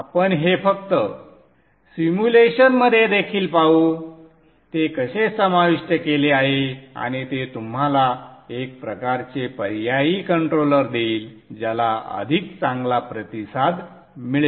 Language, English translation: Marathi, We shall just see this in simulation also, how it is incorporated and that would give you a kind of an alternate controller which has better responses